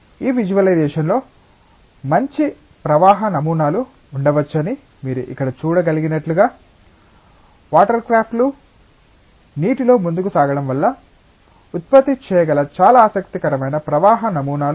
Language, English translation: Telugu, And as you can see here in this visualisation that there can be nice flow patterns, the very interesting flow patterns that can be generated as the watercrafts are propelling in water